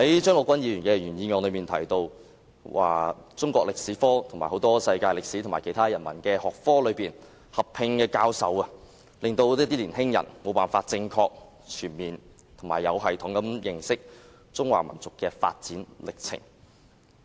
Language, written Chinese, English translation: Cantonese, 張國鈞議員在原議案提到，"中國歷史科和世界歷史或其他人文學科合併教授……令年輕一代無法正確、全面和有系統地認識中華民族的發展歷程"。, Mr CHEUNG Kwok - kwan mentioned in his original motion to teach Chinese history and world history or other humanities subjects at junior secondary level as a combined subject rendering the younger generation unable to get to know the development process of the Chinese nation in a correct comprehensive and systematic manner